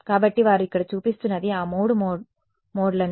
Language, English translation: Telugu, So, what they are showing here are those three modes